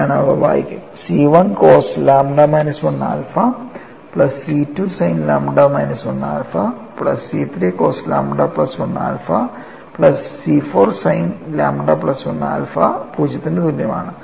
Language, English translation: Malayalam, So, I get the second expression as C 1 cos lambda minus 1 alpha minus C 2 sin lambda minus 1 alpha plus C 3 cos lambda plus 1 alpha minus C 4 sin lambda plus 1 alpha that is equal to 0